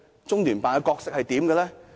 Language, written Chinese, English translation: Cantonese, 中聯辦的角色是甚麼？, What was the role of the Liaison Office?